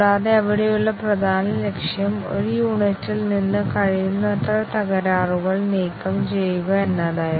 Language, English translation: Malayalam, And, the main objective there was to remove the faults as much as possible from a unit